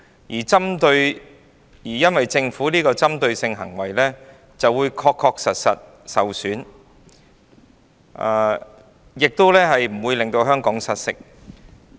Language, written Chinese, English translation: Cantonese, 它認為政府的針對性行為不會對言論自由構成確實損害，亦不會使香港失色。, It holds that the targeted action of the Government would not inflict substantial damage on freedom of speech nor tarnish Hong Kong